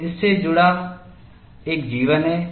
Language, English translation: Hindi, So, there is a life attached to it